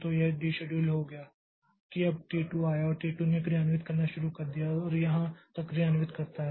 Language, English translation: Hindi, But before saving this value so it got deceduled, now say T2 came and T2 it started executing and it executed say up to this much